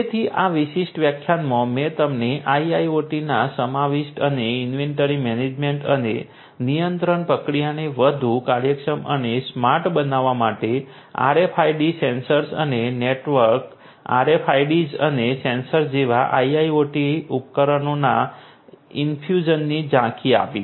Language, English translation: Gujarati, So, in this particular lecture I have given you the an overview of the incorporation of IIoT and the infuse meant of IIoT devices such as RFID sensors and the network RFIDs and sensors for making the inventory management and control process much more efficient and smarter